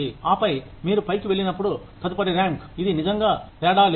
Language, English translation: Telugu, And then, when you move up to the next rank, it really does not make a difference